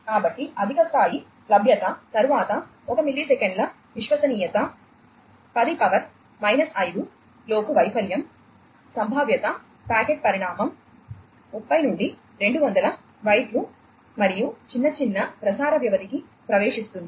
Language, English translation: Telugu, So, high levels of availability then into entrance e of in the order of 1 millisecond reliability in less than 10 to the power minus 5 outage, probability packet size of thirty to 200 bytes, and small smaller transmission duration